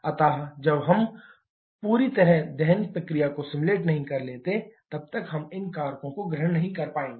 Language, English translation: Hindi, So, unless we properly simulate the combustion process, we cannot take care of all these factors